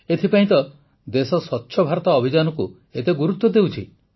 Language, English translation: Odia, That is why the country is giving so much emphasis on Swachh BharatAbhiyan